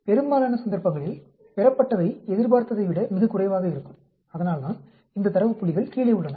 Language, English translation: Tamil, So, in most of the cases the observed will be much less than what is expected, that is why these data points are below